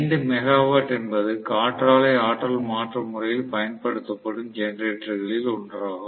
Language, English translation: Tamil, 5 megawatt is one of the generators that are being used along with wind energy conversion system